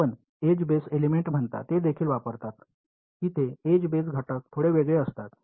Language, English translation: Marathi, They also use what you call edge based elements, there edge based elements are slightly different